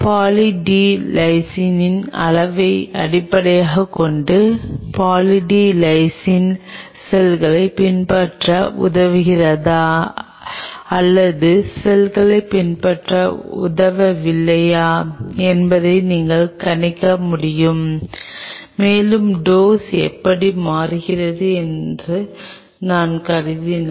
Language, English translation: Tamil, Based on the amount of Poly D Lysine you can predict whether the Poly D Lysine is helping the cells to adhere or not helping the cells to adhere and as much if I assume that this is how the dose is changing